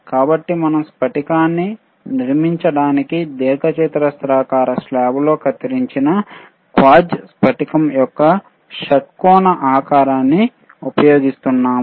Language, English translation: Telugu, So, we are using a hexagonal shape of quartz crystal cut into rectangular slab to construct the crystal oscillator